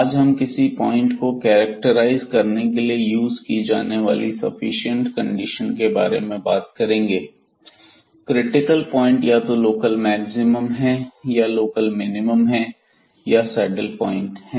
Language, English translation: Hindi, In particular today we will be talking about the sufficient conditions and that will be used for getting the or characterizing the point, the critical points whether it is a point of local maximum or local minimum or it is a saddle point